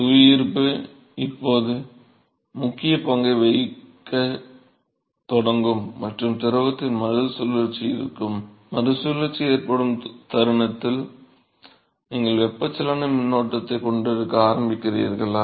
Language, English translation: Tamil, And so, gravity will now start playing a role and there will be recirculation of the fluid, the moment there is recirculation you start having convection current right